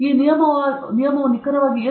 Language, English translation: Kannada, What exactly is this rule okay